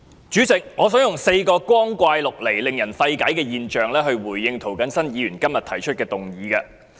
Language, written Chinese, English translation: Cantonese, 主席，我想以4個光怪陸離及令人費解的現象來回應涂謹申議員今天提出的議案。, President I would like to respond to the motion proposed by Mr James TO today with four bizzare incomprehensible phenomena